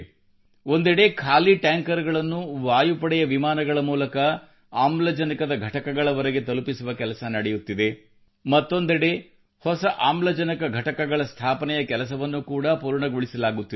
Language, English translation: Kannada, On the one hand empty tankers are being flown to oxygen plants by Air Force planes, on the other, work on construction of new oxygen plants too is being completed